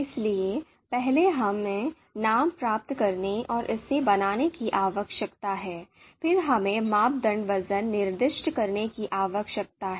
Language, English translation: Hindi, So, first we need to get the names and create this, then we need to specify the criteria weights